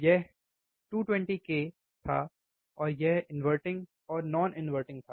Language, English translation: Hindi, Now, this was about ~220 k, 220 k inverting and non inverting